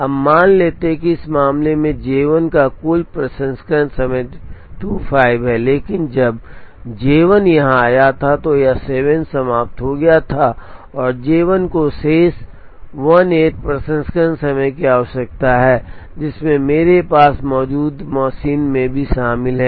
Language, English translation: Hindi, Now, let us assume that in this case J 1 has a total processing time of 25, but when J 1 has come here it has finished 7 and J 1 requires a remaining 18 processing time, including the machine that I have